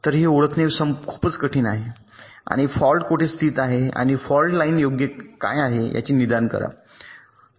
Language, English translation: Marathi, so it is much more difficult to identify and diagnose the fault, where the fault is located and what is the fault line, right